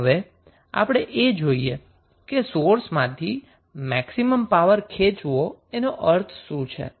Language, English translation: Gujarati, Now, let us see what is the meaning of drawing maximum power from the source